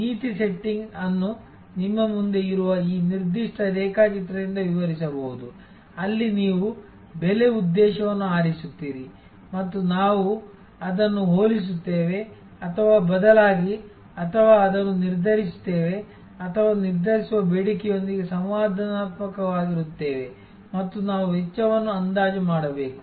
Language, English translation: Kannada, The policy setting can be described by this particular diagram which is in front of you, where you select the pricing objective and we compare that with respect to or rather that is derived or sort of interactive with the determining demand and we have to estimate cost